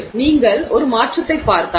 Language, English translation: Tamil, So, you can see the difference